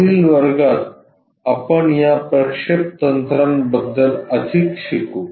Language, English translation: Marathi, In the next class we will learn more about these projection techniques